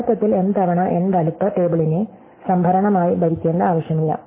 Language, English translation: Malayalam, So, therefore, there was actually no need to rule m times n size table as storage